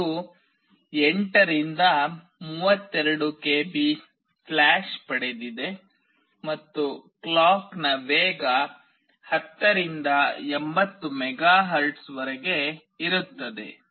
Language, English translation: Kannada, It has got 8 to 32 KB flash and the clock speed can range from 10 to 80 MHz